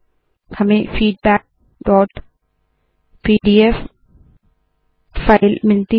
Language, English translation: Hindi, We get the file feedback.pdf